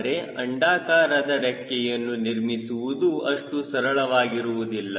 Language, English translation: Kannada, but the manufacturing of elliptic wing is not so straightforward